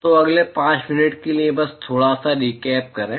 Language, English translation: Hindi, So, just a little recap for the next five minutes